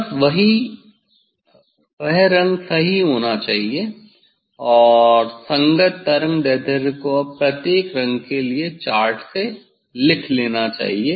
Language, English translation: Hindi, just that colour is should right, and corresponding wavelength is should note down from the chart Now, for each colours; for each colours